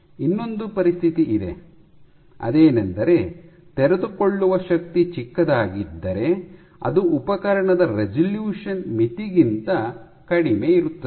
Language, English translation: Kannada, If unfolding forces are smaller are lower than the resolution limit of the instrument